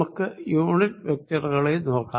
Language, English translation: Malayalam, let us look at the unit vectors